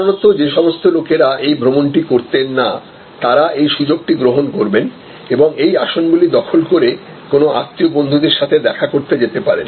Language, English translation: Bengali, So, people normally would not have those people who normally would not have travel will take this opportunity and occupied those seats may visit a relatives visit friends and so on